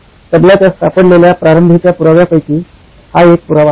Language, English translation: Marathi, This is one of the earliest evidences found of the “Tabla”